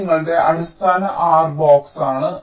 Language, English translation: Malayalam, this is your basic r box